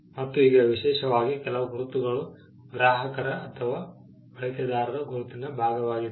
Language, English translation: Kannada, And now especially for certain marks becoming a part of the customers or the user’s identity itself